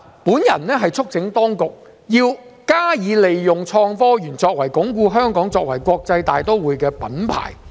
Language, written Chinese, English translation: Cantonese, 我促請當局必須加以利用創科園作為鞏固香港作為國際大都會的品牌。, I urge the Administration to make use of the Park as a tool to consolidate Hong Kongs branding as an international metropolis